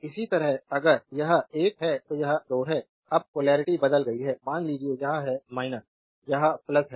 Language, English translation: Hindi, Similarly if it is this is 1 this is 2 now polarity has changed suppose this is minus this is plus